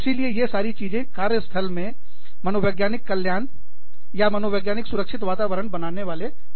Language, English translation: Hindi, So, all of these things, constitute as elements, of the psychological well being in the, or, psychosocial safety climate, in the workplace